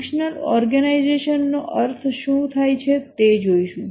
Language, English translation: Gujarati, We will look at what is meant by functional organization